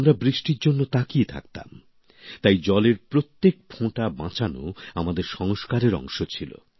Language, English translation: Bengali, We used to yearn for rain and thus saving every drop of water has been a part of our traditions, our sanskar